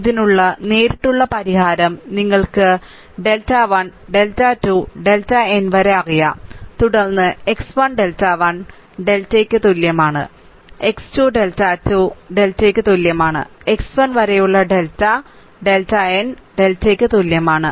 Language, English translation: Malayalam, Then then direct solution then you will get ones delta 1, delta 2 up to delta n known, then x 1 is equal to delta 1 y delta x 2 is equal to your delta 2 y delta, x 3 is equal to delta ah 3 y delta up to xl is equal to delta n y delta